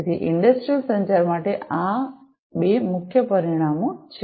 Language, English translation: Gujarati, So, these are the two major dimensions for industrial communication